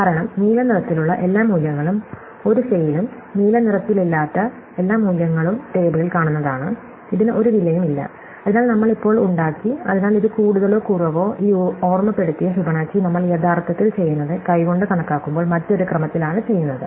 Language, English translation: Malayalam, Because, every value which is in blue appears in the 1s and every value which in not in blue is a look up in the table, So, it cost nothing, so therefore, we have now made, so this more or less this memoized Fibonacci is what we do, whether we do it in a different order, when we actually compute it by hand